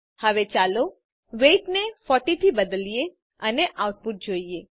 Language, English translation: Gujarati, Now let us change the weight to 40 and see the output